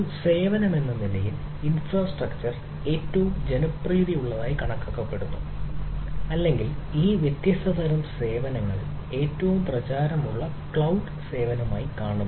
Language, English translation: Malayalam, so infrastructure as a service is the most considered to be most popular or seen to be most popular cloud service among these different type of services